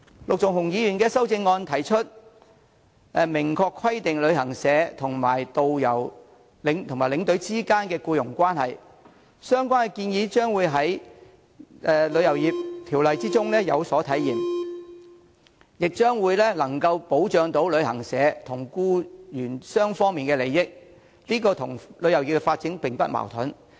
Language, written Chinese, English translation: Cantonese, 陸頌雄議員的修正案提出明確規定旅行社和導遊及領隊之間的僱傭關係，而相關建議將會在《旅遊業條例草案》中有所體現，亦將能保障旅行社和僱員雙方的利益，這與旅遊業的發展並無矛盾。, Mr LUK Chung - hungs amendment proposes specifying expressly the employment relationship between travel agencies and tour guides as well as tour escorts . This proposal will be embodied in the Travel Industry Bill and will serve to protect the interests of both travel agencies and their employees . This is not in conflict with the development of the tourism industry